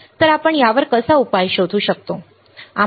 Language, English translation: Marathi, So, let us see how we can find the solution